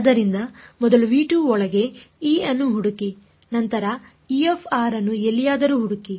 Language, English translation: Kannada, So, first find E inside v 2 and then find E r anywhere